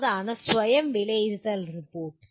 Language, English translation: Malayalam, And what is Self Assessment Report